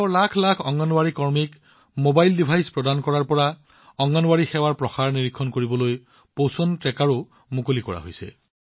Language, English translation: Assamese, From providing mobile devices to millions of Anganwadi workers in the country, a Poshan Tracker has also been launched to monitor the accessibility of Anganwadi services